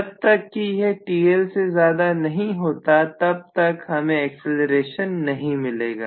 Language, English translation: Hindi, So unless I have that exceeding Tl I will not have any accelerations